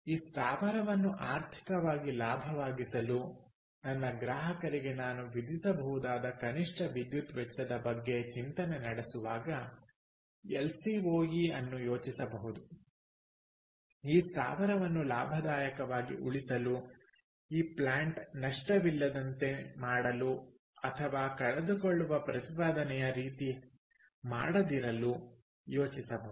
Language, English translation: Kannada, ok, so lcoe can also be think, thought about as the minimum cost of electricity that i can charge to my customer to make this plant economically viable, to make this plant i wont save in profitable, to make this plant non loss making or not a losing proposition, right